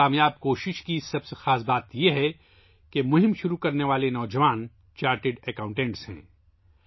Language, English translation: Urdu, The most important thing about this successful effort is that the youth who started the campaign are chartered accountants